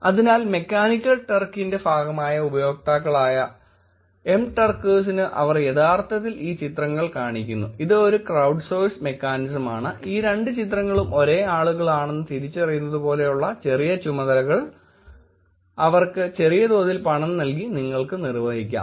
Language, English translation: Malayalam, Therefore, they are actually showed these pictures to Mturkers, the users who are part of mechanical turk which is a crowdsourced mechanism where you can actually put a small task of like this identifying where these two pictures are same people and you could actually pay them small money for doing the task